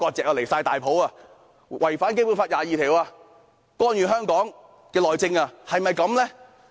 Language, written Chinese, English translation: Cantonese, 真是太離譜，他們違反《基本法》第二十二條，干預香港內政。, This is indeed outrageous; they have contravened Article 22 of the Basic Law and intervened in the internal affairs of Hong Kong